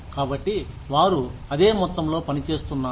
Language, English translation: Telugu, So, they are putting in the same amount of the work